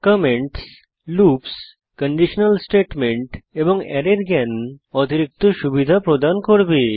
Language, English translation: Bengali, Knowledge of comments, loops, conditional statements and Arrays will be an added advantage